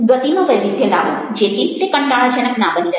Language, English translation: Gujarati, vary the pace so that it doesn't become monotonous